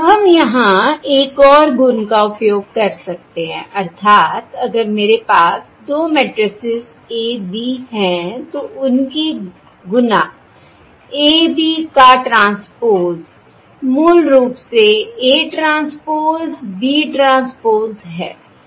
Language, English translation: Hindi, Now we can use another property here, that is, if I have two matrices, A, B, the transpose of the product AB transpose is basically B transpose, A transpose